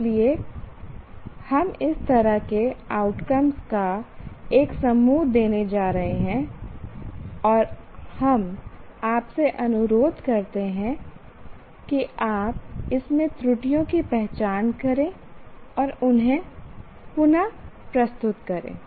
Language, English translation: Hindi, So we are going to give a set of outcomes like this and we request you to identify the errors in this and reword them